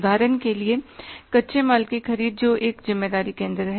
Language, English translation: Hindi, For example, purchase of raw material that is a one responsibility center